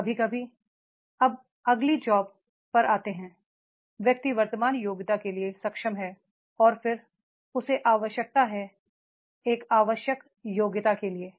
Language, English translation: Hindi, Sometimes now come to the next job, the person is capable for the present competency and then he requires the there is a required competency